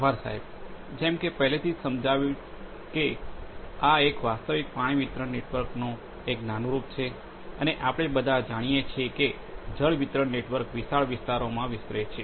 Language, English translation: Gujarati, Thank you sir, as already it has been explained that this is a prototype of a real water distribution network and we all know that water distribution networks expand over vast areas